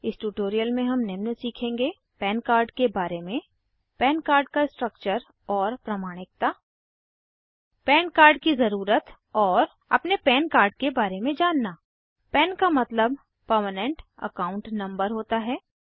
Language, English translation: Hindi, Welcome to the Spoken Tutorial on Introduction to PAN card In this tutorial we will learn About PAN card Structure and Validation of PAN card Need for a PAN card and To know your PAN card PAN stands for Permanent Account Number This is how a PAN Card looks like